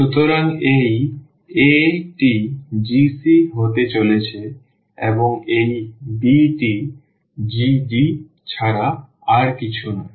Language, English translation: Bengali, So, this a is going to be this g of c and this b is nothing but g of d